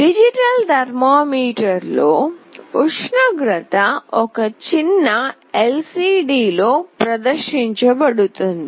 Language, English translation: Telugu, In a digital thermometer, the temperature is displayed on a tiny LCD